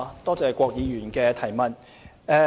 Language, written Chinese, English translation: Cantonese, 多謝郭議員的補充質詢。, I thank Mr KWOK Wai - keung for the supplementary question